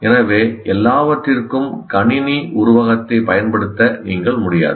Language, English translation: Tamil, So you cannot afford to use the computer metaphor for everything